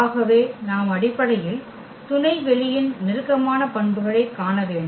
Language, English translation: Tamil, So, we have to see basically those closer properties of the subspace